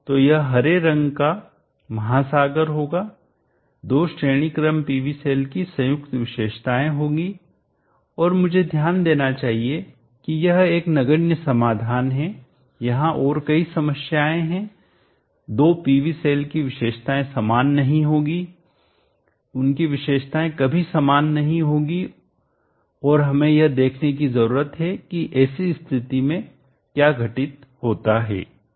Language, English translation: Hindi, So this would be the green ocean would be the combined characteristic of the two PV cells in series and I should note that this is a trivial solution there are many problems the two PV cells will not have identical characteristic will never have identity identical characteristic and we need to see what happens in such cases